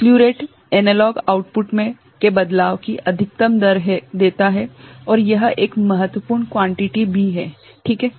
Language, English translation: Hindi, Slew rate gives maximum rate of change of analog output and this is also an important quantity ok